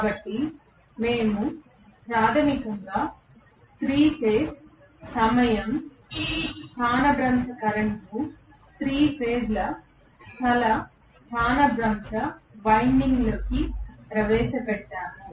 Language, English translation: Telugu, So, we said basically 3 phase time displaced current injected into 3 phase space displaced winding, right